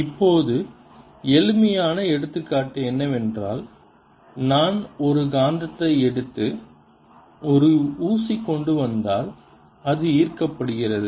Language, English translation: Tamil, now the simplest example is if i take a magnet and bring a pin close to it, it gets attracted